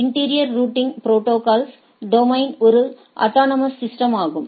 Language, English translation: Tamil, Interior routing protocols, its domain is also an autonomous system